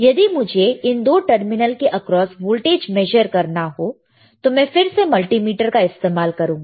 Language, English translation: Hindi, If I want to measure what is the voltage across these two terminal, I can again use a multimeter, all right any multimeter